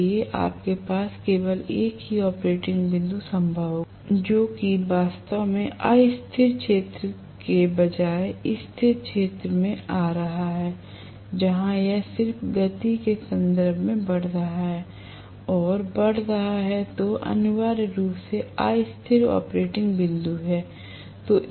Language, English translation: Hindi, So you will have only one of operating points possible which is actually coming over in the stable region rather than in the unstable region where it is just going and going increasing in terms of it speed, that is essentially the unstable operating point